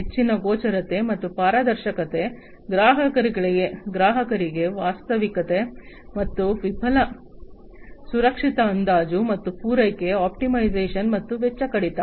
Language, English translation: Kannada, Higher visibility and transparency, a realistic, and fail safe estimate for customers, and supply optimization, and cost reduction